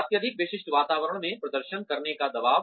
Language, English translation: Hindi, Pressure to perform in a highly specialized environment